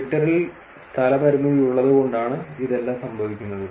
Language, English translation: Malayalam, And all this is happening just because there is space constraint in Twitter